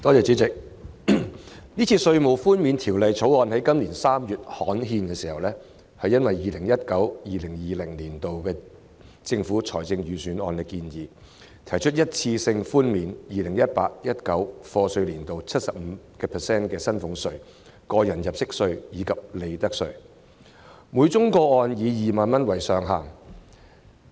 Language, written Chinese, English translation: Cantonese, 主席，因應 2019-2020 年度財政預算案的建議，《2019年稅務條例草案》在今年3月刊憲，提出一次性寬免 2018-2019 課稅年度 75% 的薪俸稅、個人入息課稅及利得稅，每宗個案以2萬元為上限。, President in pursuance of the proposal set out in the 2019 - 2020 Budget the Inland Revenue Amendment Bill 2019 the Bill was gazetted in March this year with a proposed 75 % reduction of salaries tax tax under personal assessment and profits tax for the year of assessment 2018 - 2019 subject to a ceiling of 20,000 per case